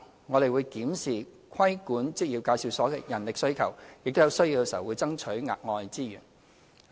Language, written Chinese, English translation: Cantonese, 我們會檢視規管職業介紹所的人力需求，並在有需要時爭取額外資源。, We will review the staffing requirements for regulation of employment agencies and request additional resources as and when necessary